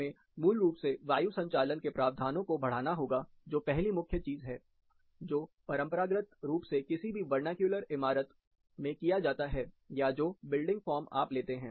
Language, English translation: Hindi, We have to basically increase the provision for ventilation that is first major thing which has been traditionally done in any vernacular building; building form you take